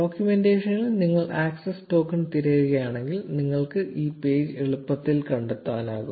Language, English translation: Malayalam, If you just search for access token in the documentation, you will easily find this page